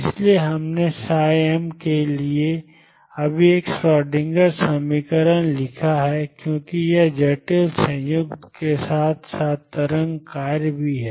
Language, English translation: Hindi, So, we have just written a Schrodinger equation for psi m for it is complex conjugate as well as the wave function itself